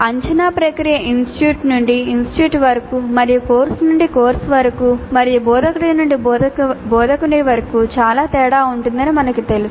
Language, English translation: Telugu, We know that the assessment process varies considerably from institute to institute and from course to course and from instructor to instructor also